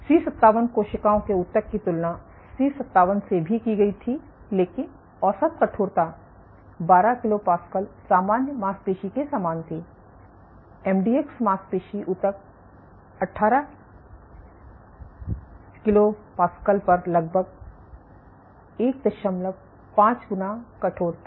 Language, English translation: Hindi, What was also observed was compared to C57 cells tissue from C57, but the average stiffness was order 12 kPa is similar to normal muscle, MDX muscle tissue was nearly 1